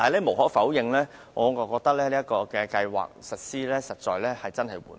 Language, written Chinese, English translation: Cantonese, 無可否認，此計劃實施得實在很慢。, Undeniably the progress of MEELS is very slow